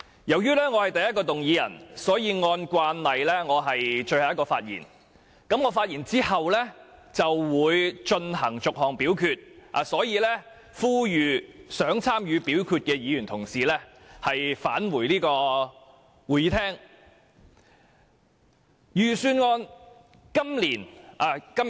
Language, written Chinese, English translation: Cantonese, 由於我動議的修正案排在首位，按照慣例，我是最後一位發言，等待我發言完畢，便會就每項修正案逐項表決，因此我呼籲想參與表決的議員返回會議廳。, As I am the mover of the first amendment according to usual practice I am the last one to speak after which the committee will proceed to vote on the amendments seriatim . Hence I call on Members who wish to take part in the voting to return to the Chamber